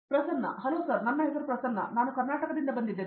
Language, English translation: Kannada, Hello sir, my name is Prasanna, I am from Karnataka